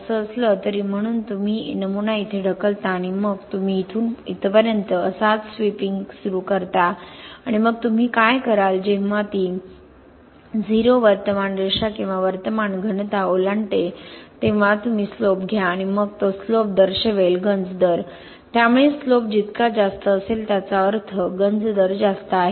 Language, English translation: Marathi, Anyway, so you push the specimen here and then you start sweeping from here till like this all the way up to here and then what you do is you take the slope when it crosses the 0 current line or current density and then that slope indicates the corrosion rate, so the higher the slope means that the corrosion rate is higher